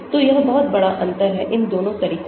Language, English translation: Hindi, so that is the big difference between both these methods